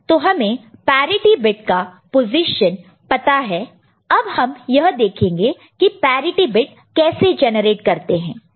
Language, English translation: Hindi, So, you know the position of the parity bit alright, now how we generate the parity bit